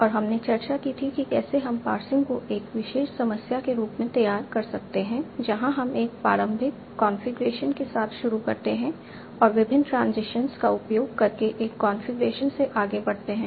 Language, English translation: Hindi, And we had discussed how we can formulate passing as a particular problem where we are starting with initial configuration and moving from one configuration another by using various transitions